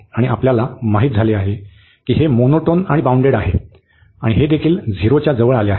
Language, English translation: Marathi, And one we know that this is monotone, and this is bounded also approaching to 0